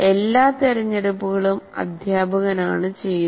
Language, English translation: Malayalam, So all the choices are made by the teacher